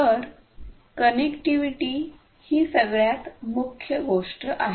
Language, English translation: Marathi, So, connectivity is the bottom line